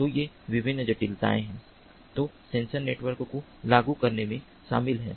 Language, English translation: Hindi, so there are different challenges in implementing sensor networks